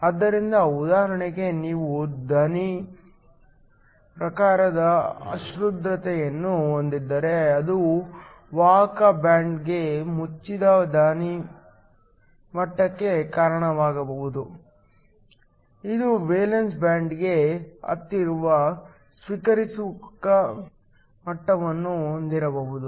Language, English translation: Kannada, So, you could have for example, if you have a donor type impurity that could lead to a donor level that is closed to the conduction band, it could also have acceptor levels close to the valence band